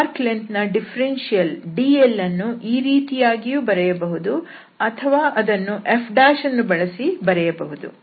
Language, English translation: Kannada, So, the arc length differential here dl can be either expressed by this or it can be expressed in terms of f prime